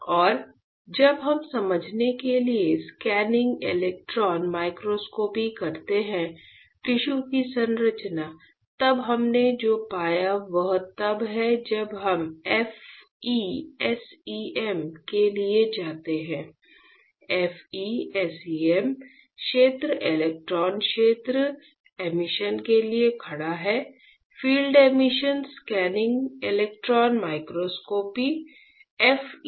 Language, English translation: Hindi, And when we perform scanning electron microscopy to understand the; the structure of the tissue, then what we found is when we go for FE SEM; FE SEM stands for field electron field emission; Field Emission Scanning Electron Microscopy, FE SEM alright